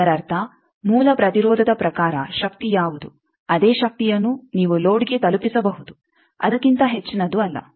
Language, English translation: Kannada, That means, in the as per the source resistance what is the power the same power you can deliver to the load not more than that